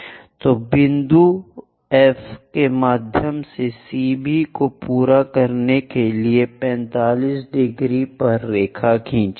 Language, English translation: Hindi, So, through F point, draw a line at 45 degrees to meet CB